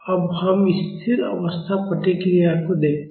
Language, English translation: Hindi, Now let us look at the steady state response